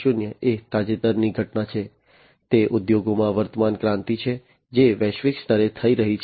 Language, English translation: Gujarati, 0 is the recent happening, it is the current revolution in the industries that is happening globally